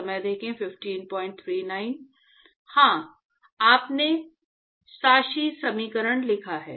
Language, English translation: Hindi, Yeah, you wrote the governing equation